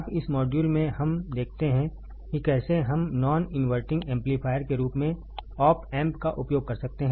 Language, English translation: Hindi, Now, in this module, let us see how we can use the op amp as a non inverting amplifier